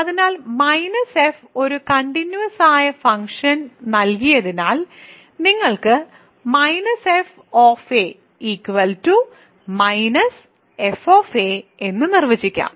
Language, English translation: Malayalam, So, because minus f a minus given a continuous function f you can define minus f of a to be minus f of a